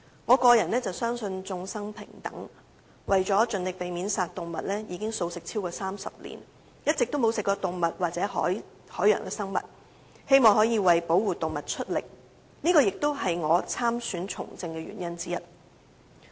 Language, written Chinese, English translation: Cantonese, 我個人相信眾生平等，所以為了盡力避免殺生，至今已經茹素超過30年，一直沒有吃過動物或海洋生物，希望可以為保護動物出力，而這亦是我參選從政的原因之一。, I personally believe that all lives are equal so in order to avoid killing lives I have become a vegetarian for more than 30 years during which I have not eaten any animal or marine creatures . I hope this will help protecting animals which is also one of the reasons why I ran in the election and take part in politics